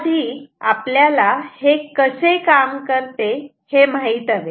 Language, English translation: Marathi, Now, what we need to know; we need to know how it works